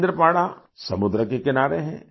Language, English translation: Hindi, Kendrapara is on the sea coast